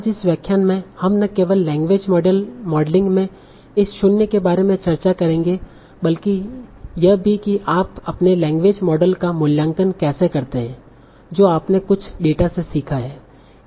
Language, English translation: Hindi, So today in this lecture we will discuss not only how to handle this G Ros in language modeling but also how do you go about evaluating your language models that you have learned from some data